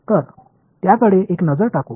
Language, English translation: Marathi, So, let us have a look at that